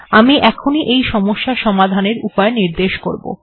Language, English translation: Bengali, I will explain how to address this problem